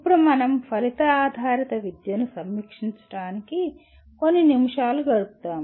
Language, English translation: Telugu, Now we spend a few minutes to review the our Outcome Based Education